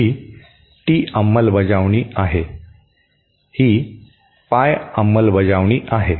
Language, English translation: Marathi, This is a T implementation, this is a pie implementation